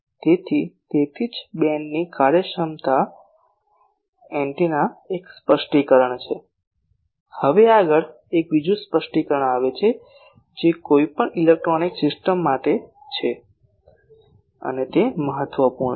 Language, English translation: Gujarati, So, that is why beam efficiency is one of the specification of the antennas Now, next comes another specification it is for any electronic system, this is important